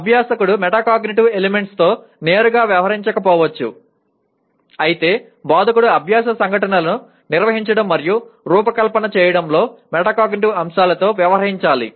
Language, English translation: Telugu, While the learner may not be directly dealing with Metacognitive elements, the instructor has to deal with Metacognitive elements in organizing and designing learning events